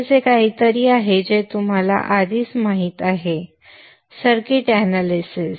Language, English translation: Marathi, Okay that is something which you already know in circuit analysis